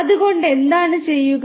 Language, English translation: Malayalam, So, what is done